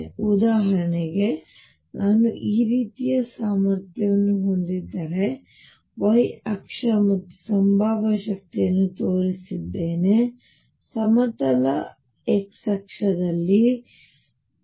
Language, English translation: Kannada, So, for example, if I have a potential like this, where I have shown the potential energy along the y axis and x is; obviously, on the horizontal axis